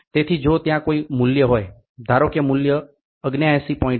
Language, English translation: Gujarati, So, if there is a value suppose if the value is 79